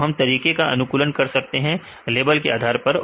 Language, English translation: Hindi, So, then we can optimize the methods right with respect to the levels